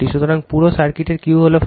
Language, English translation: Bengali, So, Q of the whole circuit is 40 right